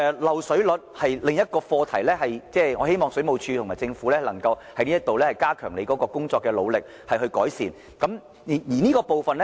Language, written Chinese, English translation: Cantonese, 漏水率是另一個課題，我希望政府和水務署能加強這方面的工作以改善漏水的情況。, Water leakage rate is another subject and I hope that the Government and the Water Supplies Department can step up efforts to reduce leakage